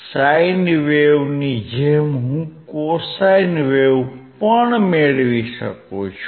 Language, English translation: Gujarati, Same way sine wave, I can get cosine wave with indicator as well